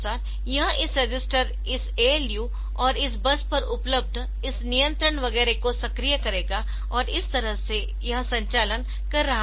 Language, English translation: Hindi, And accordingly it will be activating this registers, this ALU, and this bus this the will available on bus etcetera and that way it will be doing the operation